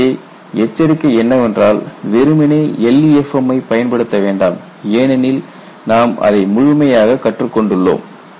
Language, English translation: Tamil, So, the warning is simply do not apply LEFM because that you have learn it thoroughly